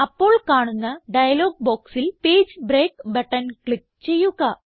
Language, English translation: Malayalam, In the dialog box which appears, click on the Page break button